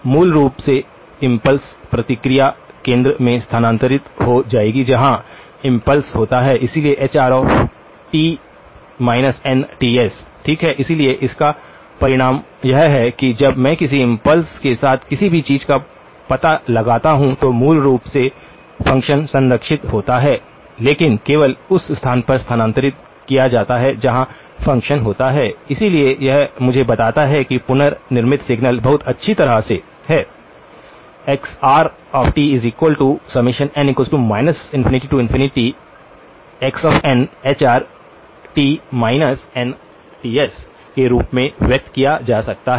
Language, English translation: Hindi, Basically, the impulse response will shift to the centre will shift where the impulse occurs, so Hr of t minus nTs, okay, so that is the result that is know when I convolve anything with an impulse function basically, the function is preserved but is only shifted to where the function occurs, so this then tells me that the reconstructed signal can be very nicely expressed as n equals minus infinity to infinity x of n times hr of t minus nTs